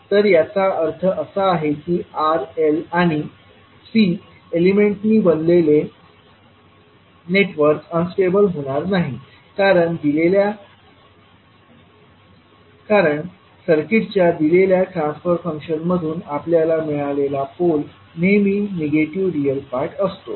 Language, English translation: Marathi, So that means that, in the network which contains R, L and C component will not be unstable because the pole which we get from the given transfer function of circuit will have always negative real part